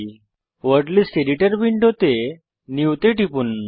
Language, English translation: Bengali, In the Word List Editor window, click NEW